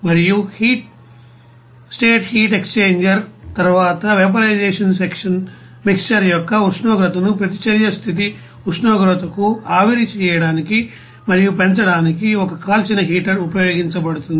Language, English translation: Telugu, And the vaporization section after the heat exchanger, a fired heater is used to vaporize and raise the temperature of the mixer to the reaction condition temperature